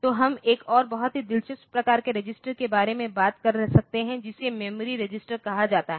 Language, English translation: Hindi, So, we can talk about another very interesting operation we are or another very interesting type of register which is called memory register